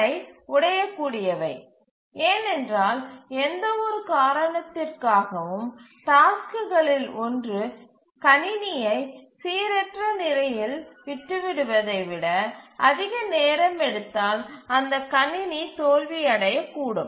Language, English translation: Tamil, These are fragile because if for any reason one of the tasks takes longer then it may leave the system in inconsistent state and the system may fail